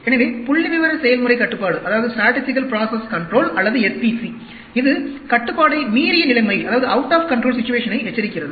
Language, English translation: Tamil, So, the statistical process control or s p c, it warns out of control situation